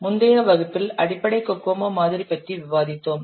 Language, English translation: Tamil, Last class we have discussed about basic cocoa model